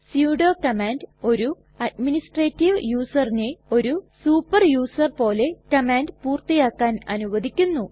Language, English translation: Malayalam, Sudo command allows the administrative user to execute a command as a super user